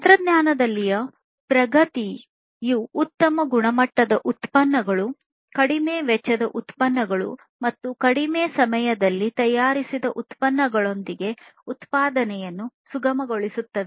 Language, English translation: Kannada, So, advancement in technology basically facilitates manufacturing with higher quality products, lower cost products and products which are manufactured in reduced time